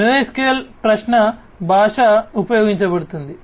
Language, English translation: Telugu, NoSQL query language could be used